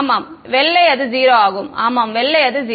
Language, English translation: Tamil, Yeah, white it is 0; yeah white it is 0